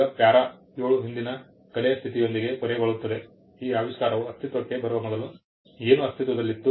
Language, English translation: Kannada, Now, para 7 ends with the state of the prior art, what is that existed before this invention came into being